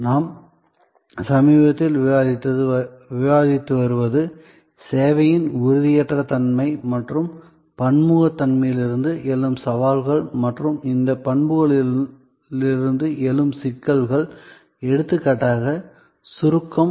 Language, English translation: Tamil, What we have been discussing lately are the challenges arising from the intangibility and heterogeneity of service and the complexities that arise from these characteristics like for example, abstractness